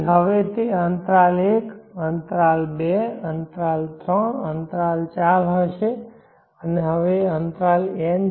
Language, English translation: Gujarati, Now that will be interval 1, interval 2, interval 3, interval 4 and now this is interval n, so this is n + 1